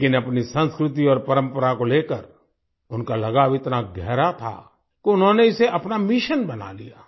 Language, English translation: Hindi, But, his attachment to his culture and tradition was so deep that he made it his mission